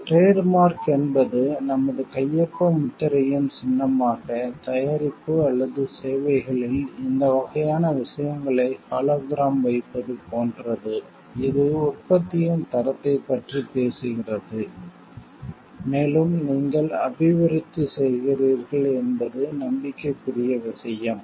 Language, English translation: Tamil, Trademark is like putting a symbol of our signature stamp, hologram these type of things on the product or services; which talks of the quality of the production, and it is a matter of trust that you are developing